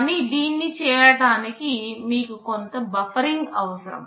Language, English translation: Telugu, But in order do this, you need some buffering